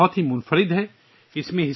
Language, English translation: Urdu, This book is very unique